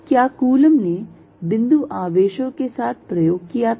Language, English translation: Hindi, Did Coulomb's do experiment with point charges